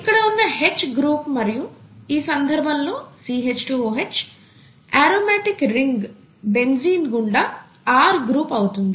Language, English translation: Telugu, The H group here and the R group in this case happens to be the CH2 OH across a , across an aromatic ring here